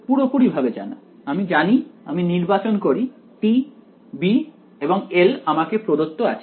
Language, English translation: Bengali, Its fully known right, I know I I chose t b and L is given to me